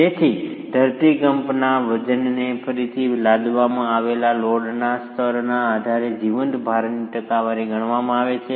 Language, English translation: Gujarati, So the seismic weight again requires a percentage of the live load to be accounted for depending on the level of imposed loads